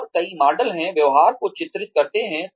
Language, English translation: Hindi, And, have several models, portray the behavior